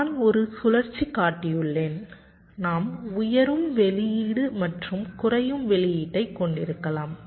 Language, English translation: Tamil, in one cycle we can have a rising output and also falling output, right